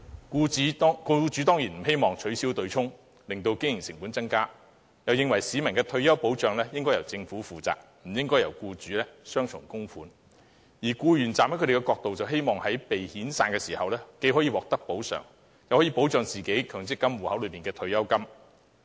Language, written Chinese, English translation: Cantonese, 僱主當然不希望取消對沖機制，令經營成本增加，他們又認為市民的退休保障應該由政府負責，僱主不應繳付雙重供款，而僱員站在他們的角度，則希望被遣散時既可以獲得補償，又可以保住強積金戶口內的退休金。, Of course employers did not hope to see the abolition of the mechanism which would result in rising operating costs . In addition they considered that the Government should provide retirement protection for the public and employers should not make double contributions . From their own perspective however employees hoped to receive compensation when they were retrenched while retaining the pension in their MPF accounts